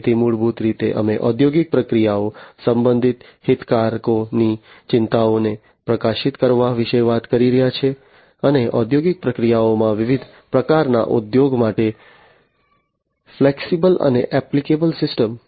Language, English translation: Gujarati, So, basically we are talking about highlighting the stakeholders concerns regarding the industrial processes, and flexible and applicable system for use of various types in the industrial processes